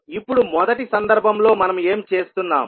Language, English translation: Telugu, Now in first case, what we are doing